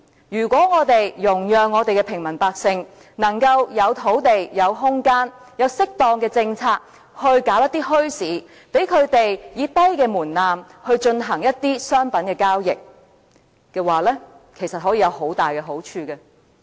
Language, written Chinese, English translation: Cantonese, 如果我們容讓平民百姓能夠有土地、有空間，有適當的政策發展一些墟市，讓他們以低門檻進行商品的交易，其實可以有很大的好處。, There will be many benefits if we can give the ordinary people sufficient lands space and appropriate policies for the development of bazaars so that they can engage in goods trading with a low threshold